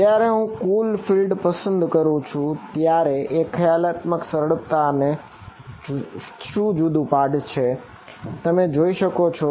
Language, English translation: Gujarati, What is the when I choose to total field over here what is the sort of one conceptual simplicity you can see of doing that